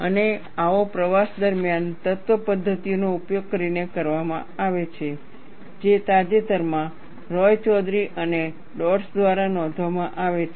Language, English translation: Gujarati, And such an attempt is made using finite element methods, which is recently reported by Roychowdhury and Dodds